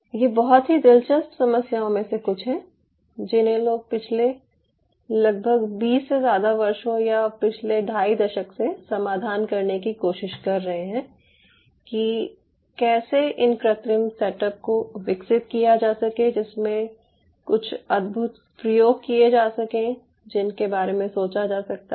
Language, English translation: Hindi, what people are addressing for last almost more than twenty years, or last two and a half decades, that how to develop these kind of in vitro setups which can be used for some amazing experiments, what we can think of now